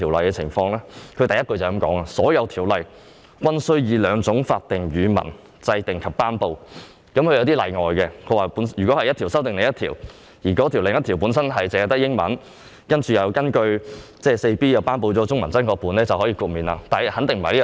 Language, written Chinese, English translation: Cantonese, 當中第1款指明，"所有條例均須以兩種法定語文制定及頒布"，但也有例外，例如某一條例修訂另一條例，而該另一條例本身只有英文本，且未有根據該條例第 4B1 條頒布中文真確本，便可獲得豁免。, Yet such a requirement shall not apply to an exceptional case where an ordinance amends another ordinance but that other ordinance was enacted in the English language only and no authentic text of that ordinance has been published in the Chinese language under section 4B1